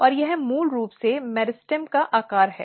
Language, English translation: Hindi, And this is the basically size of meristem